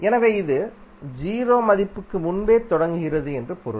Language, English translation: Tamil, So that means that it is starting before the 0 value